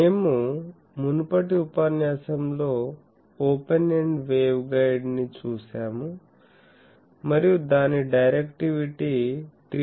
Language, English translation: Telugu, We have seen in the previous lecture, the open ended waveguide and found that it is directivity is 3